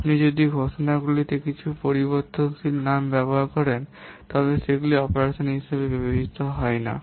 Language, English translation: Bengali, If you are using some variable names in the declarations they are not considered as operands